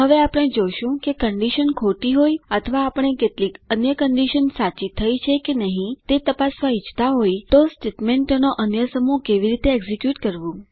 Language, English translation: Gujarati, Now we will see how to execute another set of statements if that condition is false or we may wish to check if some other condition is satisfied